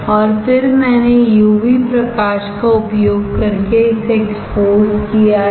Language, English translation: Hindi, And then I have exposed this using UV light